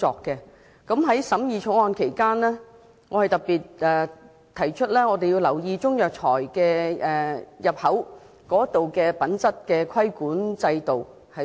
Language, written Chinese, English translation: Cantonese, 在審議《條例草案》期間，我特別提出要留意及重新審視進口中藥材的品質規管制度。, During the scrutiny of the Bill I have especially voiced the need to pay attention to and examine afresh the quality control system for imported Chinese herbal medicines